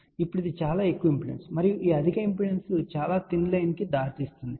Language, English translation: Telugu, Now, that is a very high impedance, ok and this very high impedance will lead to this very thin line